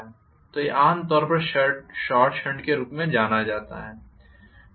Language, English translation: Hindi, So this is generally known as short shunt whereas this is known as long shunt